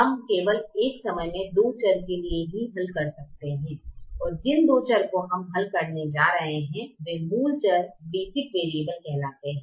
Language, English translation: Hindi, we can only solve for two variables at a time, and those two variables we are going to solve are called basic variables